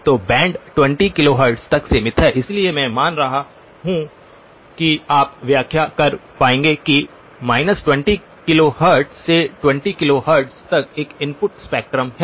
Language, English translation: Hindi, So band limited to 20 kilohertz, so I am assuming that you will be able to interpret that there is a spectrum from minus 20 to 20 that is the input spectrum